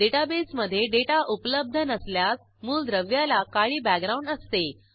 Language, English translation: Marathi, If no data is available in the database, the element will have a black background